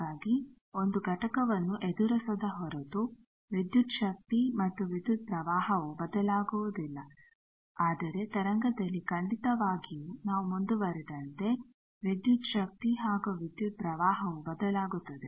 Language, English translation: Kannada, So, that unless and until a component is encountered the voltage and current do not change, but actually for a wave definitely the voltage and current change as we move on